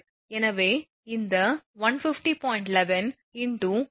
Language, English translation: Tamil, Therefore this 150